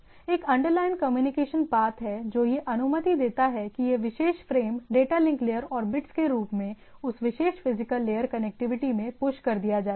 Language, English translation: Hindi, And what we assume there is a underlying communication path which allows to which this particular frames is the data link layer and pushed as a bits into that particular physical layer connectivity